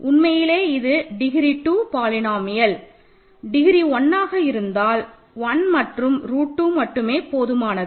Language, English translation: Tamil, But actually just degree two polynomials degree one polynomial means 1 and root 2 will suffice